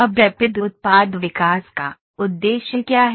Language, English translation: Hindi, Now what is the aim of Rapid Product Development